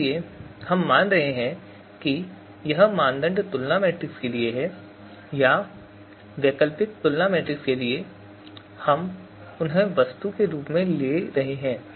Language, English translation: Hindi, So we are taking whether it is for the criteria comparison matrix or for alternative comparison matrices, we are taking you know them as you know, object